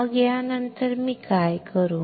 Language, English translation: Marathi, So, after this what I will do